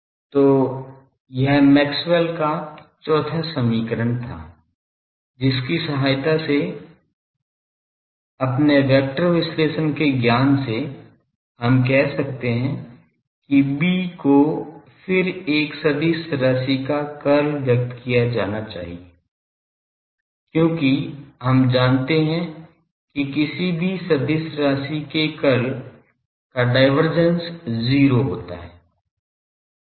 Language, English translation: Hindi, So, this was Maxwell’s fourth equation from there from our knowledge of vector analysis; we can say that B then should be expressed curl of a vector quantity, because we know that divergence of curl of any vector is zero